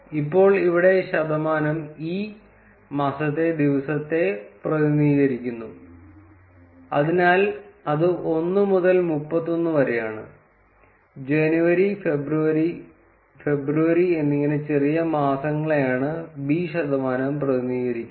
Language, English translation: Malayalam, Now here percentage e represents the day of the month, so that is 1 through 31; and percentage b represents the short months like January would be jan, February would be feb and so on